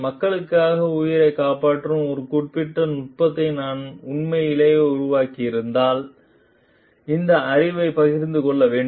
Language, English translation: Tamil, And if I have genuinely developed a particular technique, which is saving life for people, then this knowledge needs to be shared